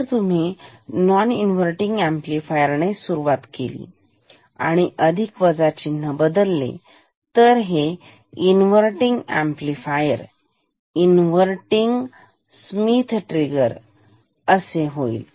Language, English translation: Marathi, So, if you start with a non inverting amplifier and change the plus minus sign it becomes a inverting amplifier, inverting Schmitt trigger